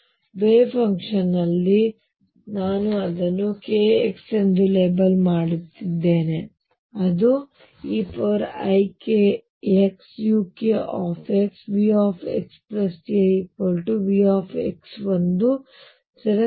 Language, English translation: Kannada, Now, in the wave function I am labelling it by k x is e raise to i k x u k x, right if V x plus a equals V x is equal to a constant